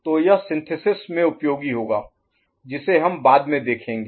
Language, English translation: Hindi, So that will be useful in synthesis part which we shall take up later